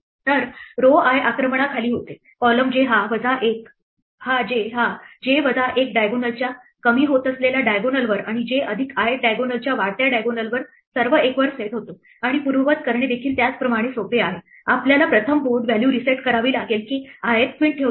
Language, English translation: Marathi, So, row i becomes under attack, column j becomes under attack the j minus one th diagonal on the decreasing diagonal and j plus i th diagonal on the increasing diagonal all get set to one; And undo is similarly, easy we have to first reset the board value to say that the ith queen is not placed